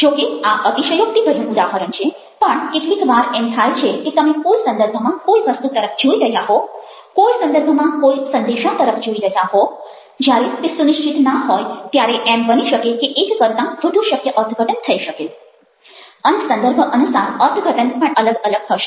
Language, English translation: Gujarati, now, very often, ah, although it's, it's an exaggerated example, very often, when you are looking at the any, any object in any context, any message in any context, ah, unless it is very definite, that can be, may be more than one possible interpretations, and the interpretations will also vary from context to context